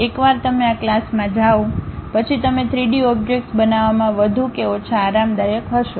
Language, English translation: Gujarati, Once you go through this class you will be more or less comfortable in constructing 3D objects